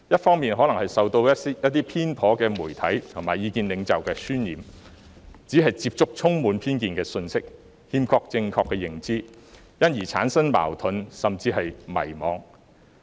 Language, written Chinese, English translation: Cantonese, 他們可能受到一些偏頗的媒體和意見領袖的渲染，只是接觸充滿偏見的信息，欠缺正確的認知，因而產生矛盾，甚至迷茫。, They may be influenced by certain biased media and key opinion leaders and are only exposed to biased information and lack correct perception thereby creating conflicts and even confusion